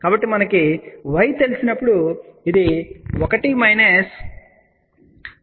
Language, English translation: Telugu, So, when we know y this is 1 minus j 2